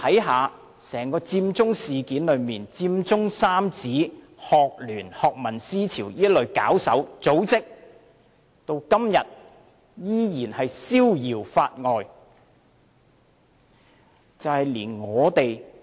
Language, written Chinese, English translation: Cantonese, 看佔中整件事，佔中三子、香港專上學生聯會、學民思潮這類搞手、組織，至今依然逍遙法外。, Looking at Occupy Central on the whole the organizers and groups such as the Occupy Central Trio the Hong Kong Federation of Students and Scholarism remain beyond the long arm of the law